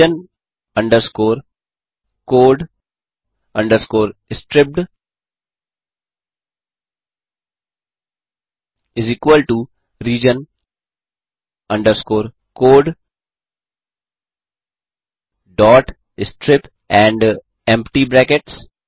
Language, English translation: Hindi, region underscore code underscore stripped is equal to region underscore code dot strip and empty brackets